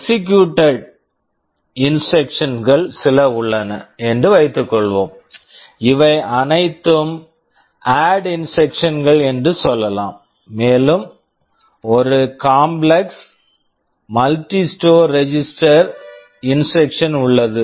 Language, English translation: Tamil, Suppose, there are some instructions that are executed and let us say these are all ADD instructions, and there is one complex multi register store instruction